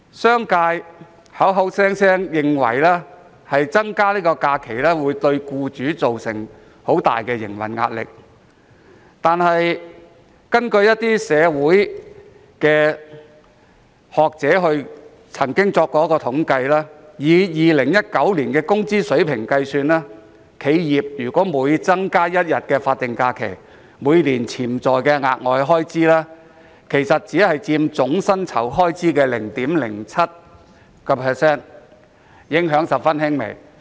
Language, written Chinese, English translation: Cantonese, 商界認為增加假期會對僱主造成很大的營運壓力，但一些社會學者指出，以2019年的工資水平計算，每增加一天法定假日，企業每年額外開支只佔總薪酬開支的 0.07%， 影響十分輕微。, The business community believes the additional holidays will exert great operating pressure on employers but some sociologists have pointed out that based on the salary level in 2019 for each additional day of statutory holiday the additional annual expenditure of an enterprise only accounted for 0.07 % of the total salary expenditure and the impact was negligible